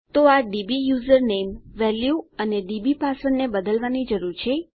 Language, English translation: Gujarati, So we need to change this dbusername value and our dbpassword